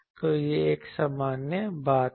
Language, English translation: Hindi, So, this is a general thing